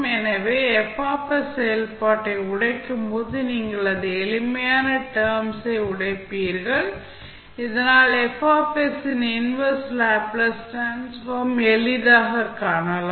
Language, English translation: Tamil, So, when you break the function F s, you will break into simpler terms, so that you can easily find the inverse Laplace transform of F s